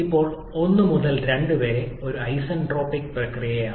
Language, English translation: Malayalam, Now 1 to 2 is a constant sorry is an isentropic process